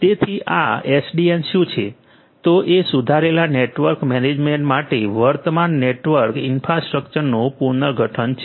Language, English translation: Gujarati, So, what is this SDN, it is the restructuring of the current network infrastructure for improved network management